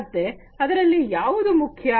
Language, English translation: Kannada, So, what is important